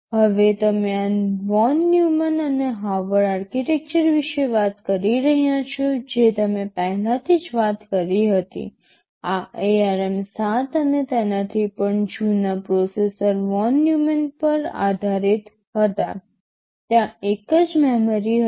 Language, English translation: Gujarati, Now talking about this von Neumann and Harvard architecture you already talked about earlier, this ARM 7 and the even older processors were based on von Neumann, there was a single memory